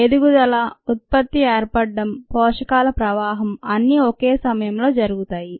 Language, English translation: Telugu, the growth, product formation, flow of nutrients, all happens, all happen simultaneously